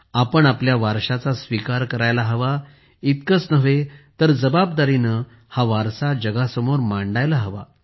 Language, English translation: Marathi, Let us not only embrace our heritage, but also present it responsibly to the world